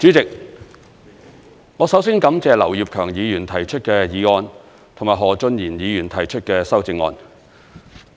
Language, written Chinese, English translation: Cantonese, 代理主席，我首先感謝劉業強議員提出的議案，以及何俊賢議員提出的修正案。, Deputy President to begin with I wish to thank Mr Kenneth LAU and Mr Steven HO for their original motion and amendment respectively